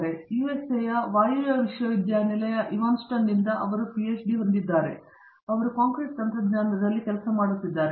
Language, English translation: Kannada, He has a PhD from Northwestern University in Evanston in the United States of America and he works on concrete technology